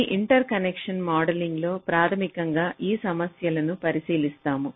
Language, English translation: Telugu, so this interconnection modeling, we shall be looking basically into these issues